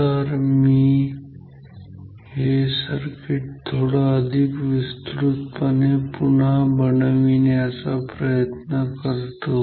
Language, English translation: Marathi, So, let me draw this circuit once again with bit more details